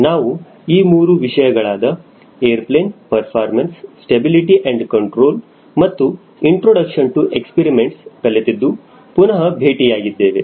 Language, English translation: Kannada, we are back here again after completing three courses, namely airplane performance, stability and control, and introduction to experiments in flight